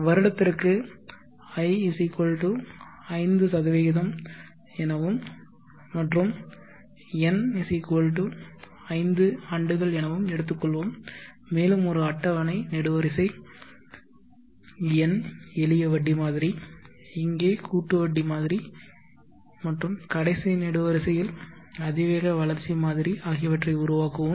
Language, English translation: Tamil, Let us take I=5% per year and n = 5 years, and let me make a tabular column N, the simple interest model, the compound interest model here and the exponential growth model in the last column